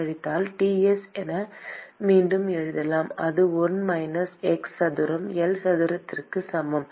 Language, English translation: Tamil, minus Ts: that is equal to 1 minus x square by L square